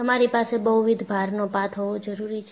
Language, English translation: Gujarati, You need to have multiple load path